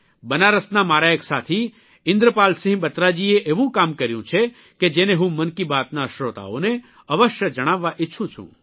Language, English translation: Gujarati, My friend hailing from Benaras, Indrapal Singh Batra has initiated a novel effort in this direction that I would like to certainly tell this to the listeners of Mann Ki Baat